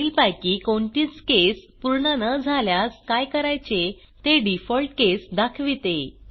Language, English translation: Marathi, Default case specifies what needs to be done if none of the above cases are satisfied